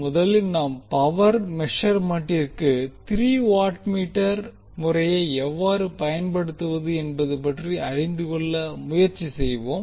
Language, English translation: Tamil, Let us first try to understand how we will use three watt meter method for power measurement